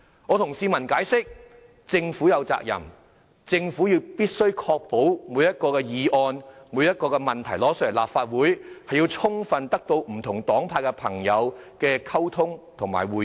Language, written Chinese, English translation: Cantonese, 我向市民解釋政府有責任確保須就每項向立法會提交的議案及問題與不同黨派的朋友充分溝通及會面。, I explain to members of the public that with regard to the bills and issues submitted to the Legislative Council the Government is duty - bound to ensure adequate communication and deliberation with different parties within the legislature